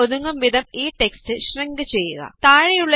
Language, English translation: Malayalam, Shrink this text to fit in the cell